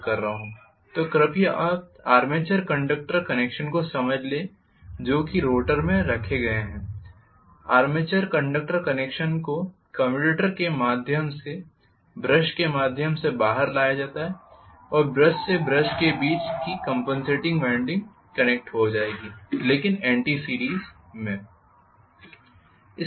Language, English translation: Hindi, So please understand the connection you are having the armature conductors which are placed in the rotor, the armature conductors connection for brought out through brushes through the commutator and brushes from the brush the compensating winding will be connected, but in anti series